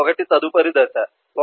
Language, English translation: Telugu, 1 next stage is 1